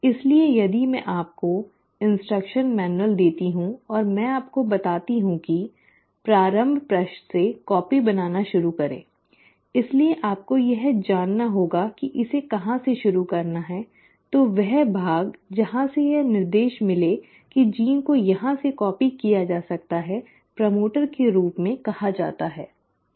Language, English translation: Hindi, So if I give you the instruction manual and I tell you, start copying from the start page, so you need to know from where to start copying it so that portion from where it gives an the instruction that the gene can be copied from here on is called as a “promoter”